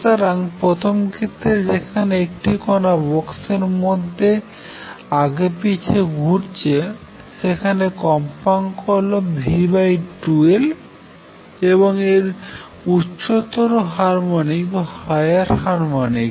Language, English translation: Bengali, So, in the first case where the particle is doing a particle in a box moving back and forth, the motion contains frequency v over 2L and its higher harmonics